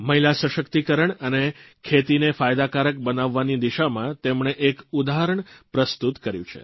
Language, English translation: Gujarati, She has established a precedent in the direction of women empowerment and farming